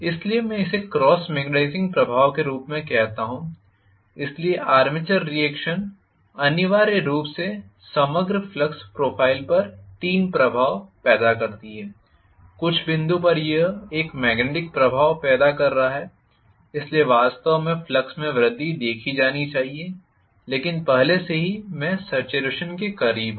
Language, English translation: Hindi, So, I call this as the cross magnetizing effect, so the armature reaction essentially create 3 effects on the overall flux profile at some point it is creating a magnetizing effect, so I should have actually seen an increase in the flux, but already I am operating close to saturation